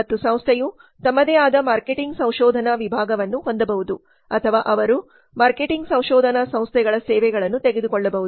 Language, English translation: Kannada, And organization can have their own marketing research department or they can take the services of marketing research firms